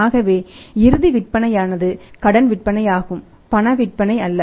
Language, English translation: Tamil, And ultimate is the sales are the credit sales not cash sales